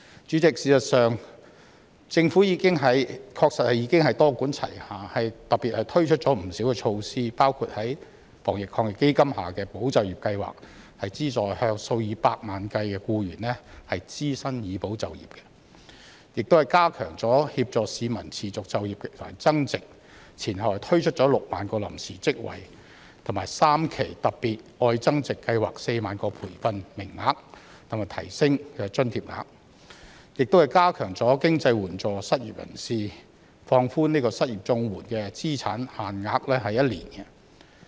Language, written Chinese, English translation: Cantonese, 主席，事實上，政府確實已經多管齊下，特別推出了不少措施，包括防疫抗疫基金下的"保就業"計劃，資助數以百萬計僱員支薪以保就業，又加強協助市民持續就業和增值，前後推出了6萬個臨時職位、3期"特別.愛增值"計劃的4萬個培訓名額，以及提升津貼額，亦加強經濟援助失業人士，放寬失業綜援資產限額1年。, President as a matter of fact the Government has actually taken a multi - pronged approach to introduce a number of special measures including the Employment Support Scheme under the Anti - epidemic Fund to support employment by providing subsidies for employers to pay the wages of millions of employees . It has also enhanced the work on assisting members of the public to secure employment and seek value addition by creating 60 000 temporary posts providing 40 000 training places under three tranches of the Love Upgrading Special Scheme as well as increasing the amount of allowances . Financial assistance for the unemployed has also been strengthened by relaxing the asset limit for applying the Comprehensive Social Security Assistance CSSA for the unemployed for one year